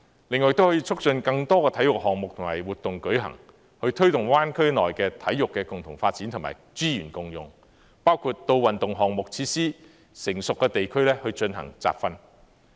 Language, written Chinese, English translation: Cantonese, 另外亦可促進更多體育項目和活動舉行，推動灣區內體育的共同發展和資源共用，包括到運動項目設施成熟的地區進行集訓。, In addition they can encourage organization of more sports events and activities to promote the common development of sports and sharing of relevant resources in the Greater Bay Area including training camps in areas with well - developed sports facilities